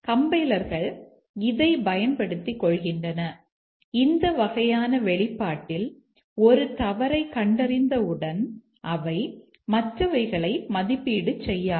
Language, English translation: Tamil, The compilers take advantage of this and as soon as they find a false here in this kind of expression they will not evaluate the others